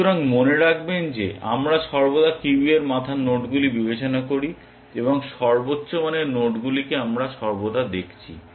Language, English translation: Bengali, So, remember that we are always considering the nodes at the head of the queue and the highest value node we are looking at that all times